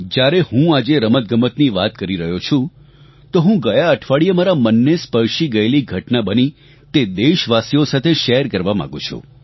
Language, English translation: Gujarati, I speak about sports today, and just last week, a heartwarming incident took place, which I would like to share with my countrymen